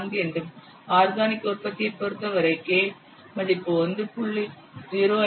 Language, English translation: Tamil, 2 the for organic product the value of k is 1